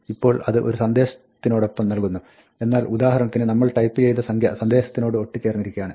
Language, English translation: Malayalam, Now, it provides us with a message, but the number that we type for instance, is stuck to the message